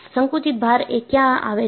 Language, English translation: Gujarati, Where do the compressive loads come